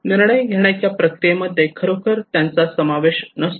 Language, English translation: Marathi, They are not really incorporated into the decision making process